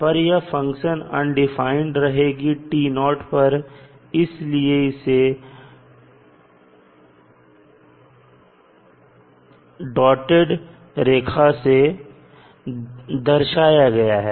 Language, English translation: Hindi, At t naught it is undefined so that is why it is shown as a dotted line